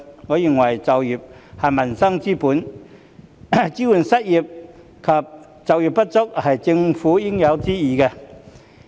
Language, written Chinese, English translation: Cantonese, 我認為就業是民生之本，支援失業及就業不足人士是政府應有之義。, In my view employment is the foundation of peoples livelihood . It is the Governments bounden duty to support the unemployed and underemployed